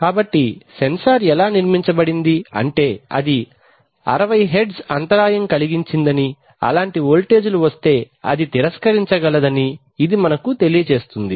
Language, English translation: Telugu, So it says that the sensor is so constructed that it can actually reject that 60Hertz such interfered, such voltages which are induced